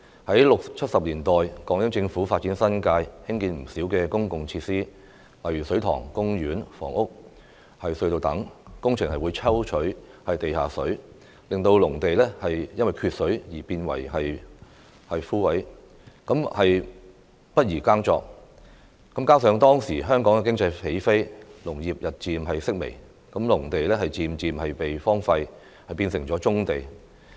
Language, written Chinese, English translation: Cantonese, 在六七十年代，港英政府發展新界，興建不少公共設施，例如水塘、公園、房屋、隧道等，工程會抽取地下水，令農地因缺水而變為乾涸，不宜耕作，加上當時香港經濟起飛，農業日漸式微，農地漸漸被荒廢，變成了棕地。, In the 1960s and 1970s when developing the New Territories the British Hong Kong Government built public facilities such as reservoirs parks housing and tunnels . In the process underground water was extracted which caused the land to dry up and become unsuitable for agriculture . Such situations coupled with the fact that Hong Kongs economy took off at that time and agriculture was gradually declining led to the abandonment of agricultural land which then turned into brownfield sites